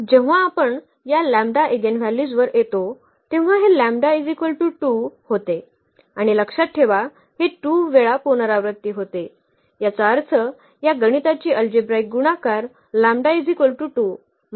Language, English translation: Marathi, When we come to this eigenvalues lambda is an; eigenvalue lambda is equal to 2 and remember it was repeated 2 times meaning the algebraic multiplicity of this lambda is equal to 2 was 2